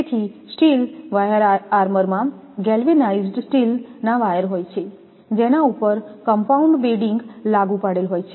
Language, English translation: Gujarati, So, steel wire armour consists of a galvanized steel wires applied over a compounded bedding